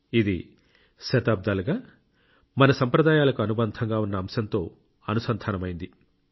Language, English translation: Telugu, It's one that connects us with our traditions that we have been following for centuries